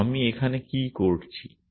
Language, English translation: Bengali, So, what am I doing here